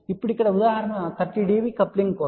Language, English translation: Telugu, now here the example is for coupling of 30 db ok